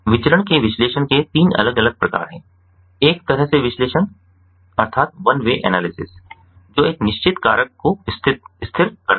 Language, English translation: Hindi, analysis of variance has three different types: one way analysis, which constant one fixed factor